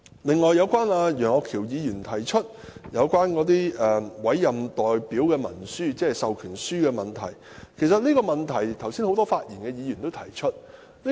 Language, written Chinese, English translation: Cantonese, 此外，楊岳橋議員提出有關委任代表文書，即授權書的問題，其實很多剛才發言的議員都提出這個問題。, Moreover Mr Alvin YEUNG mentioned the issues regarding the proxy instrument that is the proxy form . In fact a number of Members who have spoken earlier have touched on this issue